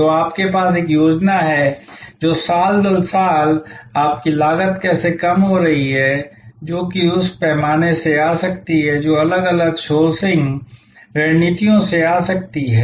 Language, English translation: Hindi, So, you have to have a plan which is year upon year how your costs are going to slight down that could be coming from in the scale that could be coming from different times of sourcing strategies